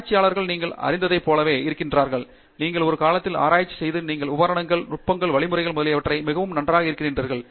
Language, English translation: Tamil, Researchers are like that you know, as you keep on doing research over a period of time you are very good at the equipment, the techniques, the methodologies, etcetera